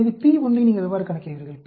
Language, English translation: Tamil, So how do you calculate p1